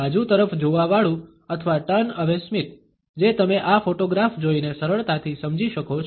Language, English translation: Gujarati, The sideways looking up or the turned away smile as you can easily make out by looking at this photograph